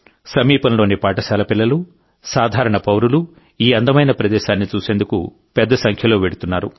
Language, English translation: Telugu, School children from the neighbourhood & common citizens throng in hordes to view this beautiful place